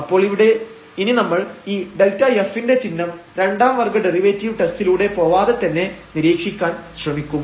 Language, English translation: Malayalam, So, we will try here now to observe the sign of this delta f directly without going through the second order derivative test